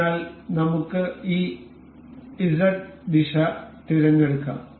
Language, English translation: Malayalam, So, let us select this Z direction